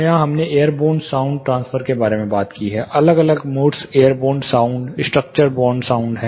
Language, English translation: Hindi, Here we have talking about airborne sound transfer, there are different modes airborne, structure borne sound